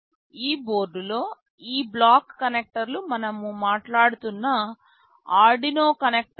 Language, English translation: Telugu, In this board these black connectors are the Arduino connectors that we were talking about